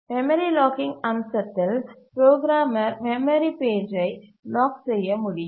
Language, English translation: Tamil, In the memory locking feature the programmer can lock a memory page